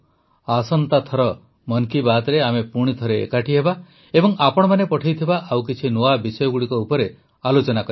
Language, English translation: Odia, Next time in 'Mann Ki Baat' we will meet again and discuss some more new topics sent by you till then let's bid goodbye